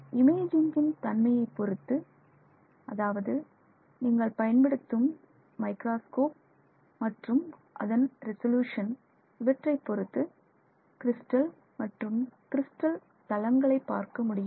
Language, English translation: Tamil, And depending on the microscope that you are using the type of microscope you are using, the resolution of the microscope you are using, you can actually see crystal planes